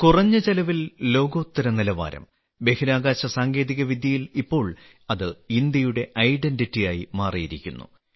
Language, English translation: Malayalam, In space technology, World class standard at a low cost, has now become the hallmark of India